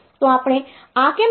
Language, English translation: Gujarati, So, why do we say this